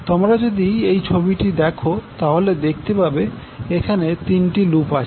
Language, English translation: Bengali, So now if you see this figure in this figure, we see there are 3 loops